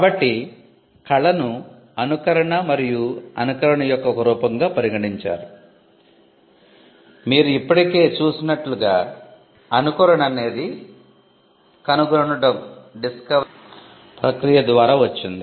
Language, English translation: Telugu, So, art was regarded as a form of imitation and imitation as you already saw came through the process of discovery